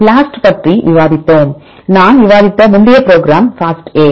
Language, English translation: Tamil, So, we discussed BLAST and we have another program called FASTA I discussed earlier